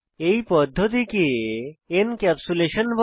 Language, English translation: Bengali, This mechanism is called as Encapsulation